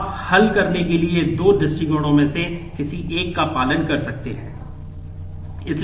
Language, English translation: Hindi, You can follow any one of the two approaches to solve